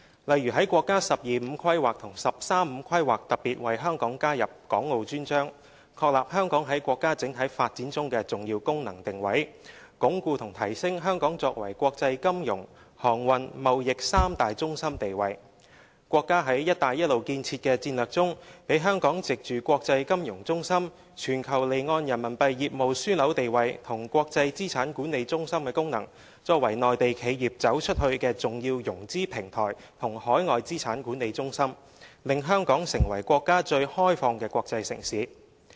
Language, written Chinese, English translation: Cantonese, 例如在國家"十二五"規劃及"十三五"規劃特別為香港加入《港澳專章》，確立香港在國家整體發展中的重要功能定位，鞏固和提升香港作為國際金融、航運、貿易三大中心地位；國家在"一帶一路"建設的戰略中，讓香港藉着國際金融中心、全球離岸人民幣業務樞紐地位和國際資產管理中心的功能，作為內地企業"走出去"的重要融資平台和海外資產管理中心，令香港成為國家最開放的國際城市。, For example a chapter was dedicated to Hong Kong and Macao in the National 12 and 13 Five - Year Plans acknowledging the significant functions and positioning of Hong Kong in the overall development of the Country and consolidating and enhancing Hong Kongs status as international financial transportation and trade centres . Under the strategic Belt and Road Initiative support is given by the Country for Hong Kong to leverage on its strengths as an international financial centre a global offshore Renminbi business hub and an international asset management centre to serve as an important financing platform and overseas asset management centre for Mainland enterprises to go global thus empowering Hong Kong as the most open international city of China